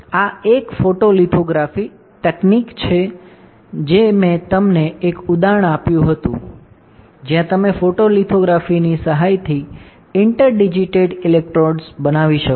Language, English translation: Gujarati, So, this is a photolithography technique I had given you one example where you can create an interdigitated electrodes with the help of photolithography